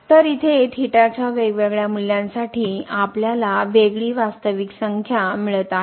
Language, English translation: Marathi, So, here for different values of theta we are getting the different real number